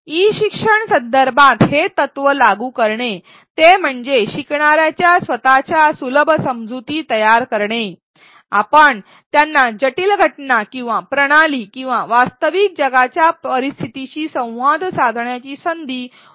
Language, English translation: Marathi, To implement this principle in an e learning context that is to facilitate learners construction of their own understanding, we should provide them opportunities to interact with complex phenomena or systems or real world scenarios